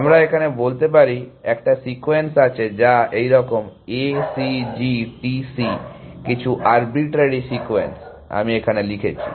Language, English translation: Bengali, So, let us say, there is one sequence which is like this, A C G T C some arbitrary sequence I have written here